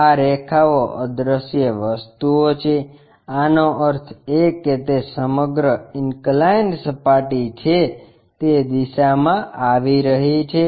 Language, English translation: Gujarati, These lines are invisible things ; that means, that entire inclined surface whatever it is coming in that direction